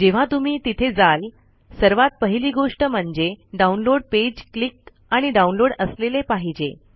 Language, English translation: Marathi, Once you go there, the very first thing in the downloads page is to be clicked and downloaded